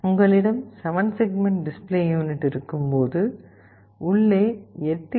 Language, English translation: Tamil, Sometimes when you have a 7 segment display unit, there are 8 LEDs inside